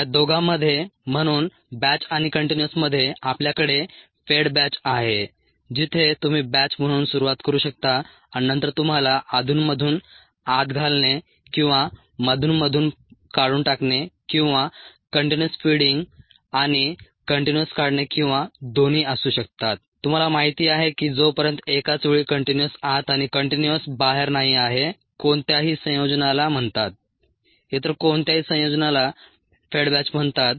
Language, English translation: Marathi, we had the fed batch where you could you start out as a batch and then you could have intermittent feeding or intermittent removal, or even continuous feeding and continuous removal, or both ah you know, as long as it is not both continuous in and continuous out simultaneously, any combination is called